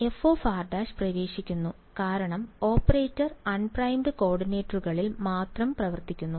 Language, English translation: Malayalam, So, f of r prime goes in because the operator only acts on the unprimed coordinates right